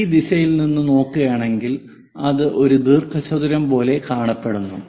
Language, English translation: Malayalam, If we are looking from this direction it looks like a rectangle